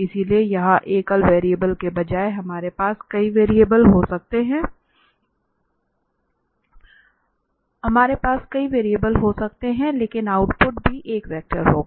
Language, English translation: Hindi, So, here instead of single variable we can have the several variable, but the output will be also a vector